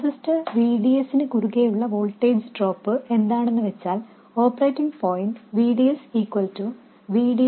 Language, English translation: Malayalam, And the voltage drop across the transistor, VDS, the operating point VDS equals VD minus ID0 times RD